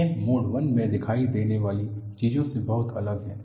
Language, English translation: Hindi, It is so different from what is appearing in mode 1